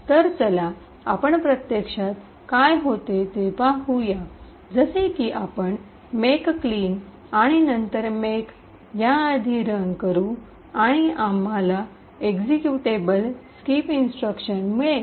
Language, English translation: Marathi, So, let’s see what actually happens, as before we run a make clean and then make and we get the executable skip instruction